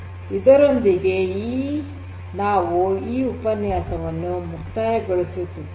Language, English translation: Kannada, So, with this we come to an end of this particular lecture